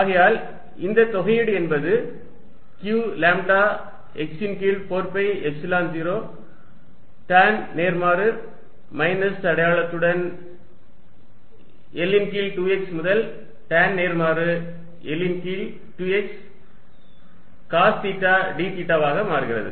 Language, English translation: Tamil, And substitute this in the integral and you are going to get F x is equal to q lambda x over 4 pi Epsilon 0 tan inverse minus L by 2 x to theta equals tan inverse L over 2 x, x secant square theta d theta divided by x cubed secant cube theta